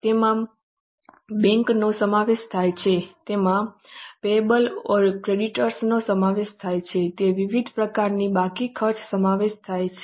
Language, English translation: Gujarati, They include bank overdraft, they include payables or creditors, they include variety of outstanding expenses